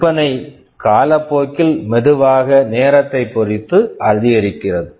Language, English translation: Tamil, The sale increases slowly over time